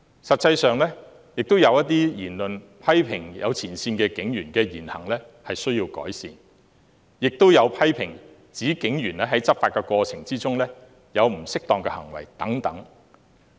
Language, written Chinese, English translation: Cantonese, 實際上，有批評指部分前線警員的言行有待改善，亦有批評指警員在執法過程中作出了不恰當的行為等。, In fact there are criticisms that the demeanours of some frontline police officers warrant improvement and some police officers have behaved in an improper way during law enforcement